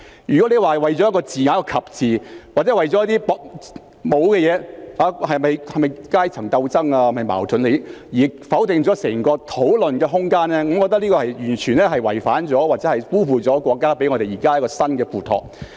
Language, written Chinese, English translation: Cantonese, 如果說為了一個"及"字，或為了一些根本沒有的事，例如這是否階層鬥爭或是否利益矛盾而否定整個討論的空間，我認為這是完全違反或辜負了國家現在給我們的新付託。, If the room for discussion is denied because of the word and or reasons that actually do not exist such as whether this is a class struggle or whether a conflict of interest is involved then I think this is completely going against or rendering us unworthy of the new mandate entrusted to us by the country now